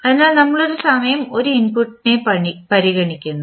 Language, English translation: Malayalam, So, we are considering one input at a time